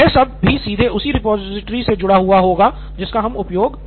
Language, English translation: Hindi, So this is again linked directly to the repository we are using